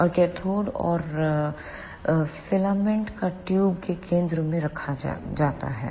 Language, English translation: Hindi, And the cathode and the filament is placed at the centre of the tube